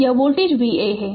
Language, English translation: Hindi, So, this voltage is V a